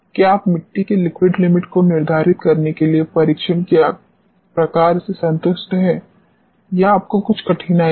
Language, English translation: Hindi, Are you satisfied with the type of test you do to determine liquid limit of the soil or you find some difficulty